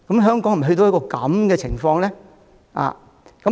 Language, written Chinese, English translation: Cantonese, 香港是否已經淪落呢？, Does it mean that Hong Kong has met its downfall?